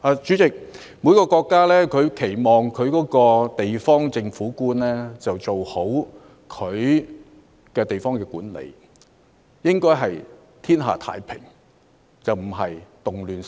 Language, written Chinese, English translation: Cantonese, 主席，每個國家都期望地方政府官員做好地方管理，讓天下太平而非動亂四起。, President every country expects local government officials to do a good job in local administration so that the territory can be peaceful instead of having riots everywhere